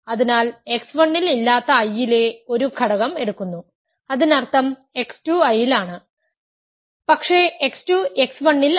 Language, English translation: Malayalam, So, we take an element that is in I not in x 1 so; that means, x 2 is in I, but x 2 is not in x 1 ok